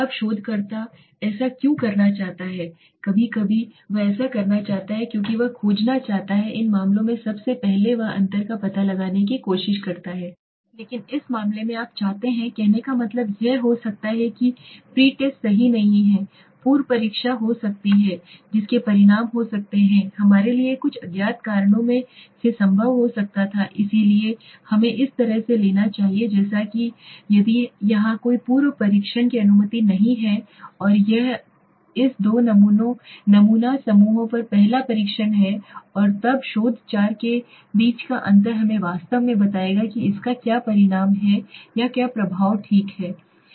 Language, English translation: Hindi, Now why the researcher wants to do this sometimes he wants to do this because he wants to find out first of all in these case he is trying to find out the difference okay but in this case you want to say may be the pretest is not required right the pre test may be could have result is coming could have been possible because of some reasons unknown to us so let us take this as there is as if no pre test is allowed here and it has been the first test on this two sample groups and then the difference between theses four will exactly tell us what is the result of the or the impact of the study okay